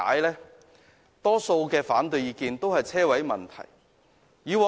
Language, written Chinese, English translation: Cantonese, 大多數的反對意見，都與泊車位問題有關。, Opposing views are mostly related to the issue of parking spaces